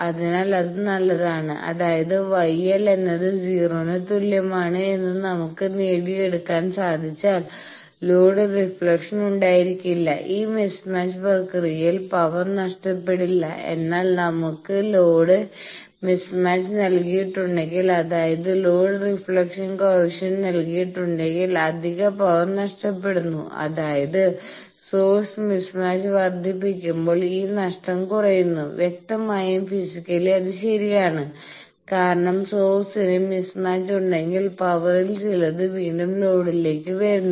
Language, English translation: Malayalam, So, that is a good; that means, if we can achieve that gamma L is equal to 0, no load reflection then no power is lost in this mismatch process, but if we have a given load mismatch; that means, given load reflection coefficient then, additional power lost; that means, this lost is reduced by increasing source mismatch; obviously, physically it is correct because if the source is having mismatch